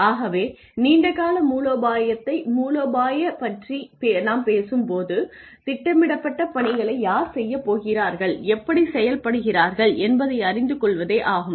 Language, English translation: Tamil, So, when we talk about long term strategy, strategy involves knowing who is going to run the organization who is going to carry out the tasks that have been planned and how